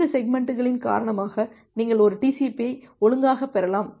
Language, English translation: Tamil, And because of that this segments, you may receive the segments out of order a TCP